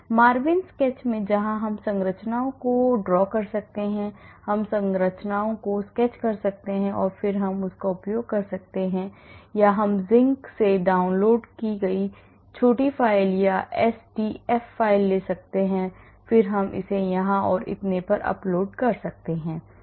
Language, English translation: Hindi, in MARVIN sketch where we can draw structures we can sketch the structure and then we can use it, or we can take small files or SDF files downloaded from Zinc and then we can upload it here and so on